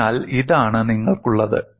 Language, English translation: Malayalam, So this is what you have